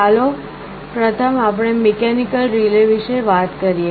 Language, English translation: Gujarati, First let us talk about mechanical relay